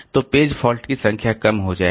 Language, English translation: Hindi, So, number of page faults will reduce